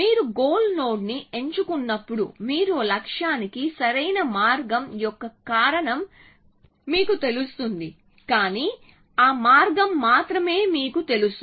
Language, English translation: Telugu, So, when you pick the goal node you have you know the cause of the optimal path to the goal, but you do not know the path only know is that